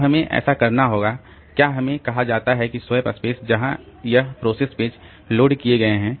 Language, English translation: Hindi, So, we have to, so, we said that the swap space where this process pages are loaded, so they are in the disk